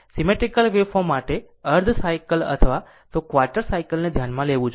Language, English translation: Gujarati, For symmetrical waveform, you have to consider half cycle or even quarter cycle looking at this